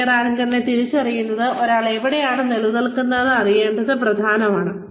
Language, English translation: Malayalam, The identification of career anchors helps with, it is important to know, where one stands